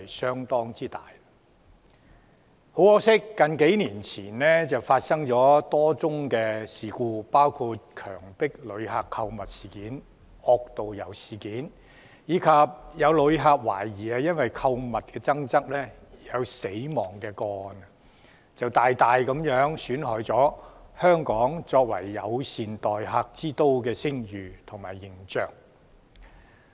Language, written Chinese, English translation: Cantonese, 很可惜，數年前曾經發生多宗事故，包括強迫旅客購物、惡導遊，以及懷疑有旅客因購物爭執而死亡，大大損害了香港作為友善待客之都的聲譽和形象。, Unfortunately a number of incidents which happened years ago including coerced shopping rogue tourist guides and the death of a tourist allegedly caused by shopping disputes have severely tarnished the reputation and image of Hong Kong as a tourist - friendly city . In view of the aforesaid incidents the Government has introduced the Travel Industry Bill the Bill after consulting the travel trade